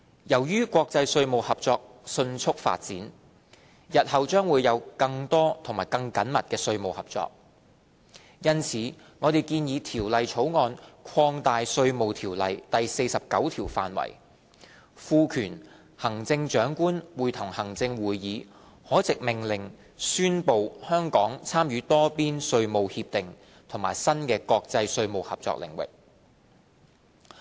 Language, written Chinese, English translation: Cantonese, 由於國際稅務合作迅速發展，日後將會有更多和更緊密的稅務合作，因此我們建議《條例草案》擴大《稅務條例》第49條範圍，賦權行政長官會同行政會議可藉命令宣布香港參與多邊稅務協定和新的國際稅務合作領域。, As international tax cooperation is developing fast we expect more and closer tax cooperation in the future . In view of this we propose under the Bill that the scope of section 49 of IRO be expanded to empower the Chief Executive in Council to declare by order that Hong Kong participates in multilateral tax agreements and new areas of international tax cooperation